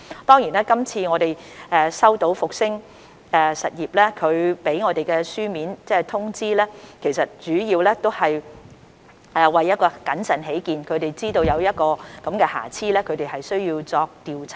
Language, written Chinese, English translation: Cantonese, 當然，據我們收到復星實業的書面通知，其實主要是為了謹慎起見，他們得知疫苗包裝出現瑕疵，因此須進行調查。, Certainly according to the written notification we received from Fosun Industrial its move is in fact mainly for the sake of prudence and they found it necessary to conduct an investigation after learning about the defects in its vaccine packaging